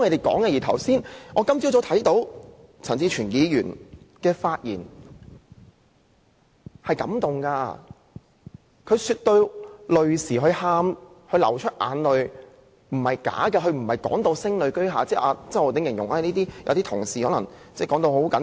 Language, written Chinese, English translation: Cantonese, 今天早上，我聽到陳志全議員的發言，甚為感動，他說到流淚，那不是假的，但他並非聲淚俱下，並非如周浩鼎議員形容有些同事表現誇張。, This morning I was moved by Mr CHAN Chi - chuen as I heard him speak in tears . He did not fake it . Yet he did not burst out crying not as exaggerated as described by Mr Holden CHOW who claimed that certain colleagues were overreacting